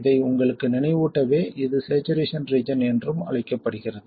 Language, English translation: Tamil, Just to remind you this is also called the saturation region